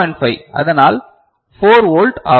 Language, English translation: Tamil, 5 right, so that is 4 volt